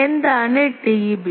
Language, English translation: Malayalam, And what is T B